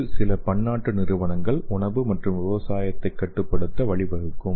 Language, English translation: Tamil, So only the some of the multinational companies they can control the food and agriculture